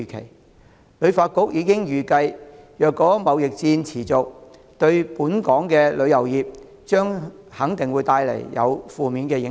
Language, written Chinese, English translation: Cantonese, 香港旅遊發展局已經預計，如果貿易戰持續，對本港的旅遊業肯定有負面影響。, The Hong Kong Tourism Board HKTB anticipates that a sustained trade war will certainly have an adverse impact on the local tourism industry